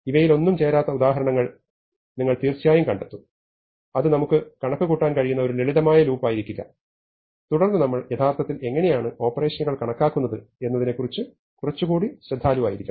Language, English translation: Malayalam, We will of course, find examples which do not fit any of these, it will not be a simple loop that we can calculate and then we will have to be a little more careful about how we actually count the operations